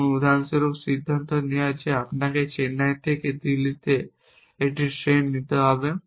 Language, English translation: Bengali, Like, for example, deciding that you have to take a train from Chennai to Delhi and then you keep adding more actions